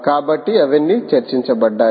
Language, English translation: Telugu, so all of that was discussed, ah